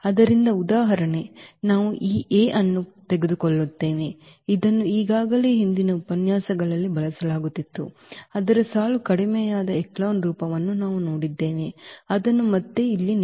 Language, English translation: Kannada, So, for instance we take this A, which was already used in previous lectures we have also seen its row reduced echelon form which is given here again